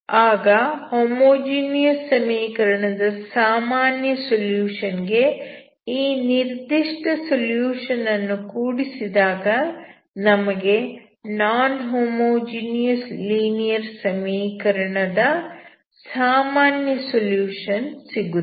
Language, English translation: Kannada, So, if you want to solve the non homogeneous equation, you should have general solution of the homogeneous equation